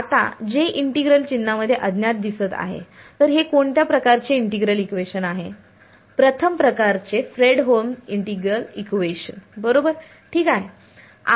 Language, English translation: Marathi, Now, J is appearing inside the integral sign unknown so, what kind of an integral equation is this Fredholm integral equation of first kind right; alright